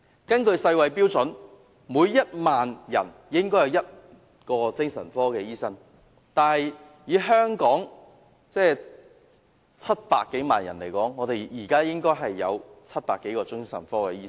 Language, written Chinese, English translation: Cantonese, 根據世界衞生組織的標準，每1萬人應有1名精神科醫生，但以香港700多萬人口計算，我們應該有700多位精神科醫生。, According to the standard of the World Health Organization there should be one psychiatric doctor to every 10 000 persons . If a calculation is based on the 7 million - odd population in Hong Kong we should have more than 700 psychiatric doctors